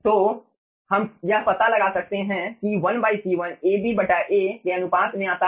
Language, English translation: Hindi, so we can find out that 1 by c1 comes out to the ratio of ab by a